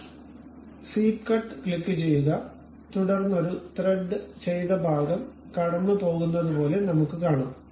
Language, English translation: Malayalam, So, click swept cut then we will see something like a threaded portion passes